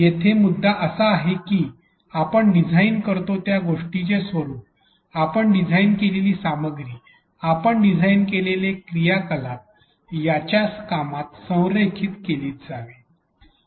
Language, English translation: Marathi, The point here is that the form of whatever we design, the content we design, the activities we design should be aligned to its function